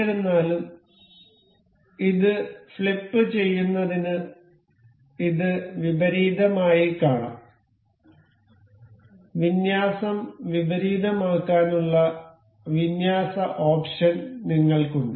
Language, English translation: Malayalam, So however, we can see this inverted to flip this, we have this we have option to alignment to invert the alignment